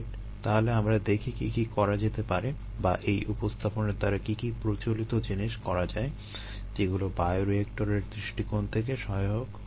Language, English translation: Bengali, so let us see what all can be done, or what are the common things that i would done with, with such a representation, which would be useful for us from a bioreactor point of view